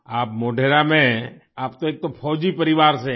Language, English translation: Hindi, You are in Modhera…, you are from a military family